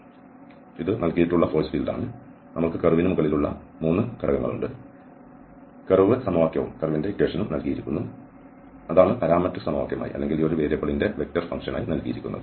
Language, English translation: Malayalam, So this is the force field given, we have the 3 components over the curve, the curve equation is also given that is the parametric equation or the vector function of this one variable is given